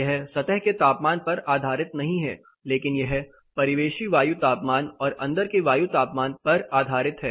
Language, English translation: Hindi, This is not surface temperature based, but this is the ambient air temperature and the indoor air temperature based